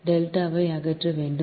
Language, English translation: Tamil, delta has to eliminated